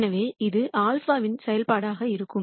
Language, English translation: Tamil, So, this is going to be a function of alpha